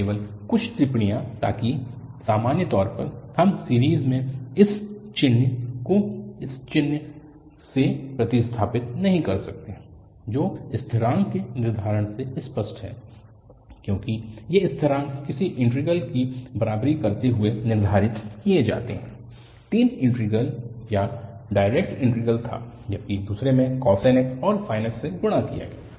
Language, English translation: Hindi, Just few remarks so that, in general, we cannot replace this equivalent sign by this equal sign in the series which is clear from the determination of constant, because these constants are determined by equating integrals, the three integrals, one was direct integral, other was while multiplied by cos nx and the sin nx